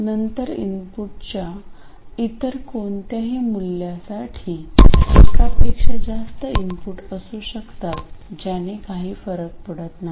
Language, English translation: Marathi, Then for any other value of the input, there can be more than one input, it doesn't matter